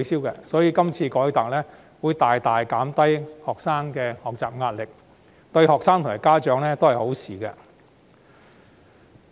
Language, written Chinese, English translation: Cantonese, 因此，這次改革將大大減低學生的學習壓力，對學生及家長而言也是好事。, Therefore this reform will greatly reduce the pressure of students in learning which is good for students and their parents